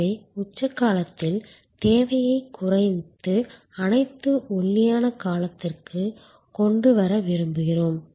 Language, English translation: Tamil, So, we want to reduce the demand during peak period and bring it to the lean period